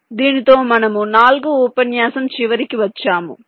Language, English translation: Telugu, ok, so with this we come to the end of ah, the forth lecture